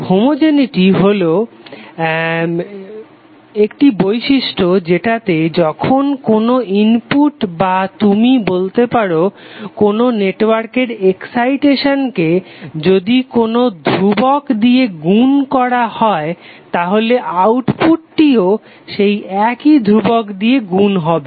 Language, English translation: Bengali, Homogeneity means the property which requires that if the input or you can say that excitation of the network is multiplied by a constant then the output is also multiplied by the same constant